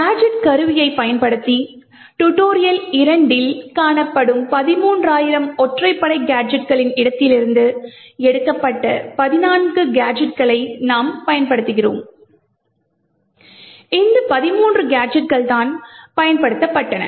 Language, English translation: Tamil, The gadgets that we use are actually, there are 14 of them, picked from this space of the 13,000 odd gadgets which are found in tutorial 2 using the gadget tool and these are the 13 gadgets which were used